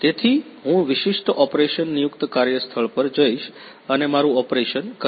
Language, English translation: Gujarati, So, I will be going to the particular operation designated work place and a perform my operation